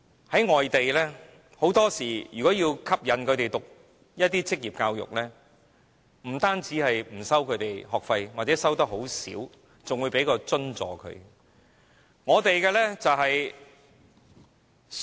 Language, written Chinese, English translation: Cantonese, 在外地，如果要吸引人修讀職業教育，很多時候不單不收取學費或只收取小量學費，更會提供津助。, In overseas countries similar institutions often offer free minimally - charged or subsidized courses to attract people to receive vocational education